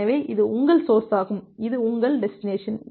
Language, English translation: Tamil, So, this is your source and this is your destination